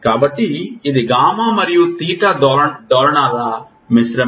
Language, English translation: Telugu, So, this is a blending of gamma and theta oscillations